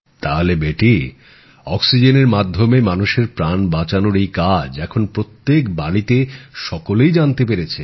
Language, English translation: Bengali, So beti, this work of saving lives through oxygen is now known to people in every house hold